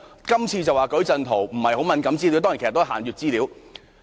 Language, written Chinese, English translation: Cantonese, 今次是數據矩陣，並非敏感資料，但當然，其實也是限閱資料。, This time the data matrix is not sensitive information but certainly it is restricted information